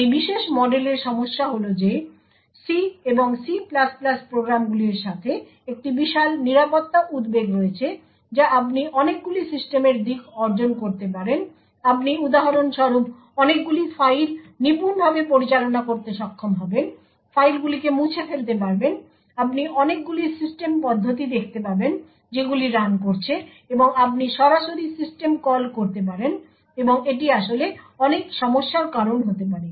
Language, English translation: Bengali, The problem with this particular model is that there is a huge security concern right with C and C++ programs you can achieve a lot of system aspects, you would be able to for example manipulate a lot of files, delete files you could see a lot of system processes that is running and so on, you could directly invoke system calls and this could actually lead to a lot of problems